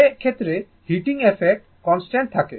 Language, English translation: Bengali, In which case the heating effect remains constant